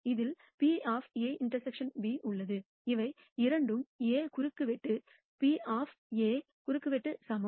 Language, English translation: Tamil, In this also is A intersection B, both of these are equal to A intersect probability of A intersection B